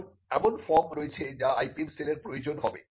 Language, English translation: Bengali, Now, there are forms that the IPM cell will need